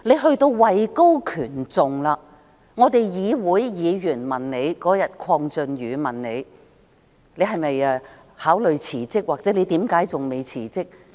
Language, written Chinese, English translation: Cantonese, 她位高權重，當天鄺俊宇議員問她是否考慮辭職，或為何還未辭職？, She holds a high position . When Mr KWONG Chun - yu asked the other day if she would consider resigning or why she had not yet resigned she chose not to answer